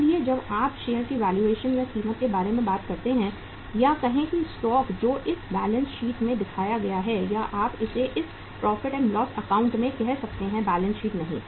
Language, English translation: Hindi, So when you talk about the valuation or the price of the stock or the say the stock which is shown in this balance sheet or you can call it as in this profit and loss account not balance sheet